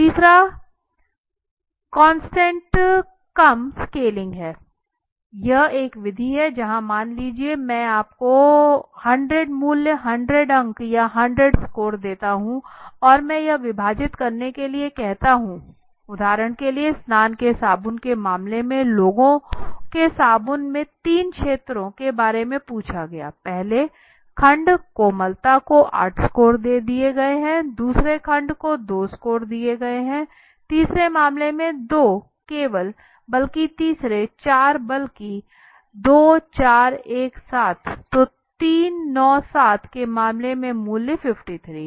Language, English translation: Hindi, The third is the constant sum scaling the constant sum scaling is a method were I would give you let say 100 value the value 100 you know 100 marks or 100 score and I ask you to divide it now for example in the case of the bathing soap three segments of people were asked on these factors now the factors mildness first segment gave a score of 8 right out of 100 8 second segment gave an importance of 2 only third 4 rather 2 4 17 so in case 3 9 7 price 53